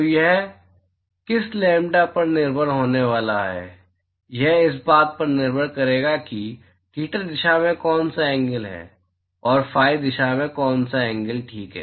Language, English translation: Hindi, So it is going to be dependent on which lambda, it is going to be depended on what angle in theta direction, and what angle in phi direction ok